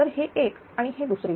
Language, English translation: Marathi, So, this is one this is two